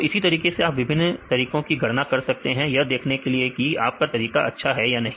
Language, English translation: Hindi, So, likewise you can calculate the different methods to see whether your method your method is good or not